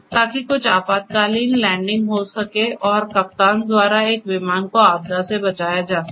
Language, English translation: Hindi, So, that some emergency landing could be taken and a disaster would be avoided for a particular aircraft by the captain